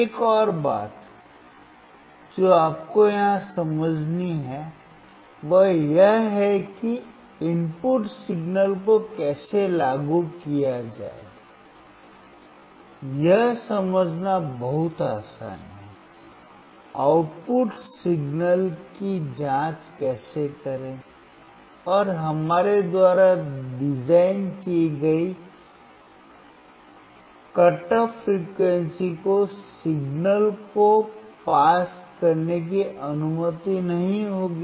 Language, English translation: Hindi, Another thing that you have to understand here is that it is very easy to understand how to apply the input signal; how to check the output signal; and at what cut off frequency designed by us the signal will not allowed to be passed